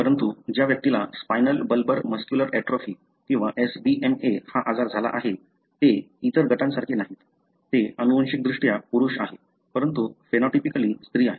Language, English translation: Marathi, But, an individual who has got this disease that is spinal bulbar muscular atrophy or SBMA, they are not like the other group that is they are genetically male, but phenotypically female